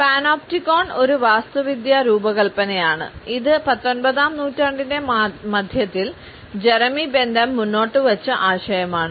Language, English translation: Malayalam, The Panopticon is initially an architectural design which was put forth by Jeremy Bentham in the middle of the 19th century